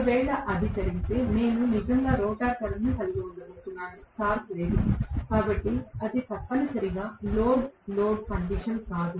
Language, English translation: Telugu, If at all it happens, then I am going to have really no rotor current at all, no torque at all, so it is essentially no load condition